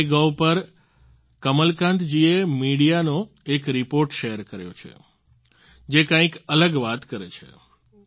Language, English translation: Gujarati, On MyGov app, Kamalakant ji has shared a media report which states something different